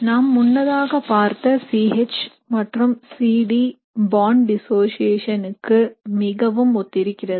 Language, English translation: Tamil, So it would be a case very similar to the C H and C D bond dissociation that we had seen earlier